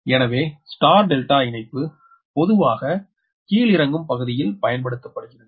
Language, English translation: Tamil, so therefore the star delta connection is commonly used in step down